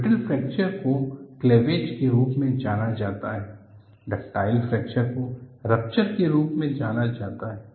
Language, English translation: Hindi, Brittle fracture is known as cleavage, ductile fracture is also known as rupture